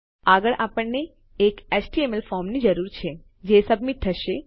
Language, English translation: Gujarati, Next we need an HTML form that will submit